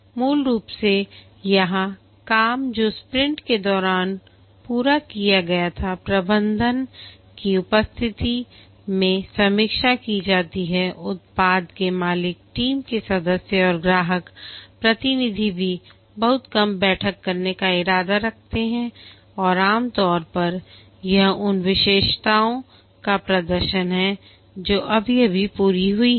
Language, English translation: Hindi, Basically here the work that was accomplished during the sprint are reviewed in presence of the management, the product owner, the team member and also customer representative intended to be a very short meeting and typically it's a demonstration of the features that have been just completed